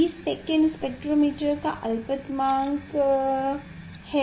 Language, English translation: Hindi, 20 second is the least count for spectrometer